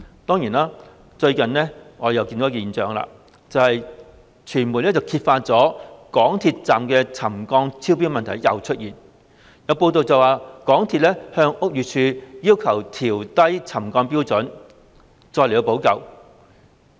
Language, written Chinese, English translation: Cantonese, 當然，最近我們又看到一個現象，有傳媒揭發港鐵站又再出現沉降超標的問題，報道指港鐵公司要求屋宇署放寬沉降標準，其後再作補救。, Certainly we have recently noted another phenomenon . As exposed by the media settlement at MTR stations has exceeded the limit again . It was reported that MTRCL requested BD to relax the settlement standard and then it would take remedial measures